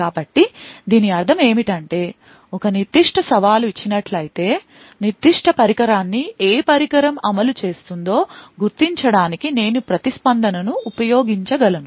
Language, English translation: Telugu, So, what this means is that given a particular challenge I can use the response to essentially identify which device has executed that particular function